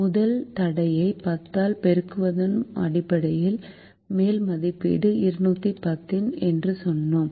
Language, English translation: Tamil, based on multiplying the first constraint by ten, we said the upper estimate is two hundred and ten